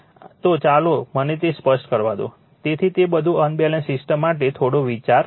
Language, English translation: Gujarati, So, let me clear it, so that is all for little bit idea for unbalanced system right ok